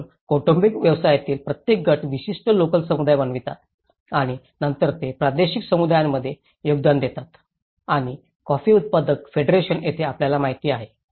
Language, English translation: Marathi, So each group of family businesses constitute a particular local communities and then again they contribute with the regional communities and this is where the coffee growers federation you know